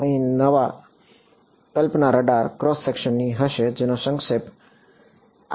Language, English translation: Gujarati, The new concept over here is going to be that of the radar cross section which is abbreviated as RCS